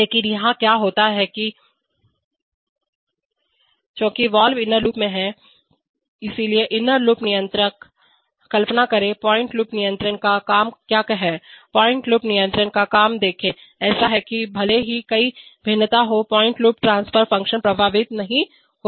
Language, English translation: Hindi, But what happens here is that since the valve is in the inner loop, so the inner loop controller, imagine, what is the job of closed loop control, see the job of closed loop control is such that even if there is a variation in the process gain the closed loop transfer function is not affected